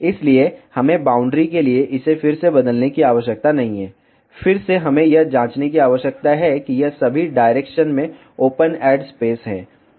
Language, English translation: Hindi, So, we need not to change it again for boundaries, again we need to check it is open add space in all the directions